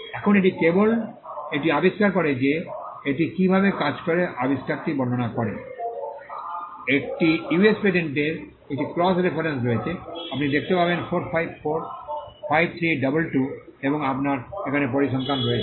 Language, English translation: Bengali, Now it just starts it describes the invention how it works, there is a cross reference to a US patent, you can see that 4534322 and you have figures here